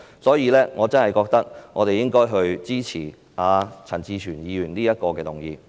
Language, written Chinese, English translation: Cantonese, 所以，我真的認為我們應支持陳志全議員提出的這項修正案。, Therefore I really think that we should support this amendment proposed by Mr CHAN Chi - chuen